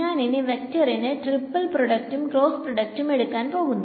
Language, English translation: Malayalam, So, I am going to take the vector triple product vector cross product